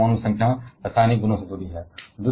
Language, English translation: Hindi, And therefore, atomic number is associated with the chemical properties